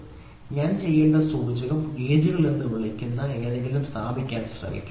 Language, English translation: Malayalam, So, if the indicator I have to do then I would try to establish something called as gauges